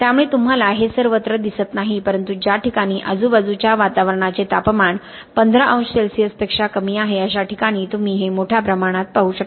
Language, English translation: Marathi, So you do not see this everywhere but you see it in a great amount of detail when the temperature of the surrounding environment is less than 15 degree Celsius